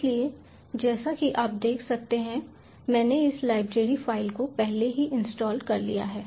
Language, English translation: Hindi, so, as you can see, i have already installed this library file